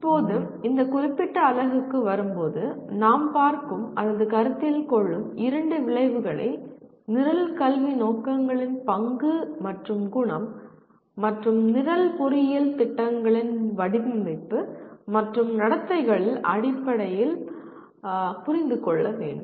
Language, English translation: Tamil, Now, coming to this particular unit, the two outcomes that we look at or we consider are understand the role and nature of Program Educational Objectives and program Specific Outcomes in the design and conduct of engineering programs